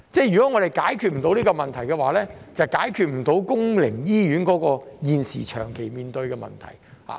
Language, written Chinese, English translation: Cantonese, 如果我們解決不到這個問題，就解決不到公營醫院現時長期面對的問題。, As long as we cannot solve this problem we will not be able to solve the long - term problem faced by public hospitals